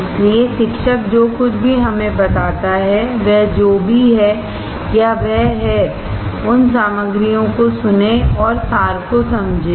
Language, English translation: Hindi, So, whatever the teacher tell us, whoever he or she is, listen those ingredients, and understand the essence